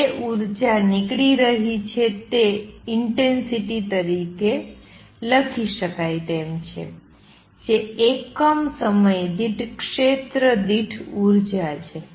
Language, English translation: Gujarati, Energy which is going out can be written as the intensity which is energy per unit per area per unit time